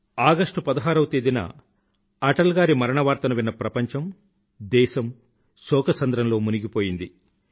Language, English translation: Telugu, As soon as the people in our country and abroad heard of the demise of Atalji on 16th August, everyone drowned in sadness